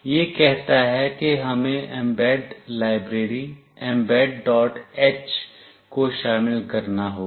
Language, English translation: Hindi, This says that we have to include mbed library mbed